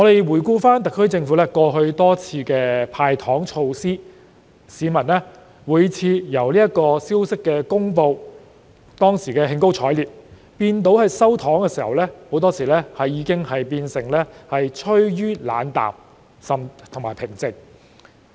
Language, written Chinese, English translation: Cantonese, 回顧特區政府過去多次"派糖"，每次市民在消息公布時均感到興高采烈，但到後來收到"糖"的時候，很多市民已變得冷淡和平靜。, Looking back at the SAR Governments repeated endeavours to hand out candies in the past people were always elated when such news was announced . However by the time when the candies were received they had become indifferent and calm